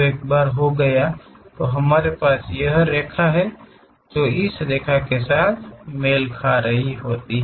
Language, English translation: Hindi, Once that is done we have this line, which is matching with this line